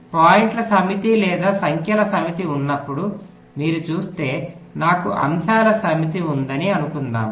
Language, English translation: Telugu, if you see, when you have a set of points or set of numbers, lets say i have a set of items, so when i say i am taking a median